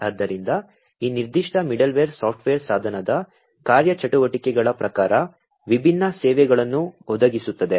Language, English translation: Kannada, So, this particular middleware software will provide different services according to the device functionalities